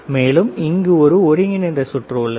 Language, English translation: Tamil, This is the integrated circuit, right